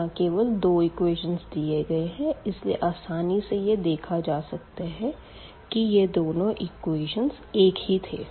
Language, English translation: Hindi, Because, when these two equations are given it was easy to see that these two equations are the same equation